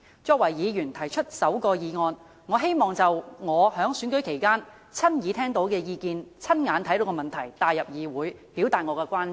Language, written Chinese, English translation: Cantonese, 作為提出首項議案的議員，我希望將我在選舉期間親耳聽到的意見、親眼目睹的問題帶入議會，表達我的關注。, It has totally forgotten its due social responsibility as an enterprise . As the Member who proposes the first motion I wish to voice in this Council the views heard and the issues seen by me personally during the election period and express my concerns